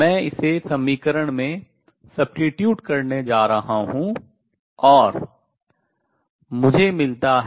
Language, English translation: Hindi, I am going to substitute that in the equation and I get